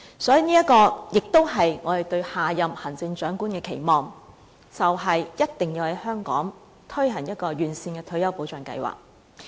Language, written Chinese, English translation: Cantonese, 所以，這也是我們對下任行政長官的期望，便是一定要在香港推行完善的退休保障計劃。, For that reason this is also our expectation for the next Chief Executive . This means that he or she must implement a sound retirement protection scheme